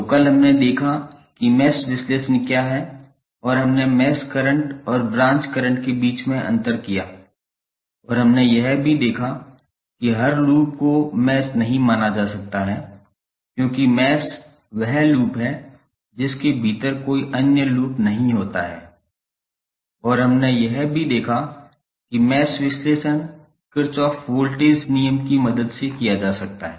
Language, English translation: Hindi, So, yesterday we saw the what is mesh analysis and we stabilized the difference between the mesh current and the branch current and we also saw that the every loop cannot be considered as mesh because mesh is that loop which does not contain any other loop within it and we also saw that the mesh analysis can be done with the help of Kirchhoff Voltage Law